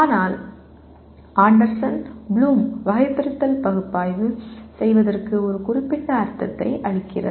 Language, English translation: Tamil, But whereas Anderson Bloom Taxonomy gives a very specific meaning to Analyze